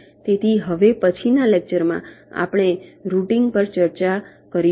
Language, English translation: Gujarati, so in the next lecture we shall be starting our discussions on routing